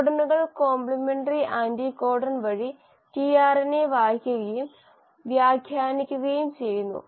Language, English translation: Malayalam, The codons are read and interpreted by tRNA by the means of complementary anticodon